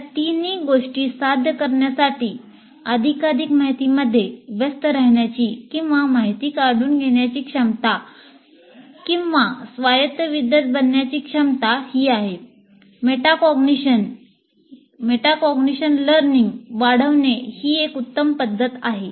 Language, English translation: Marathi, And to achieve these three, that is ability to engage with increasingly more information or distal information or to become an autonomous learner, one of the best methods is fostering metacognition learning